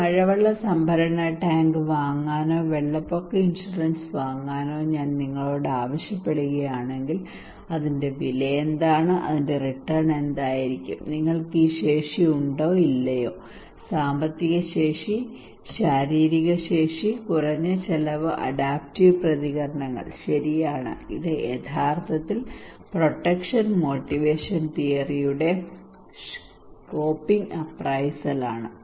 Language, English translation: Malayalam, Like if I ask you to buy a rainwater harvesting tank or buy a flood insurance what are the cost of that one and what would be the return of that one and whether you have this capacity or not financial capacity, physical capacity and minus the cost of adaptive responses okay and which is actually the coping appraisal for the protection motivation theory